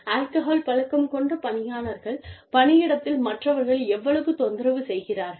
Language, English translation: Tamil, You know, how much is the person's dependence on alcohol, disturbing the others in the workplace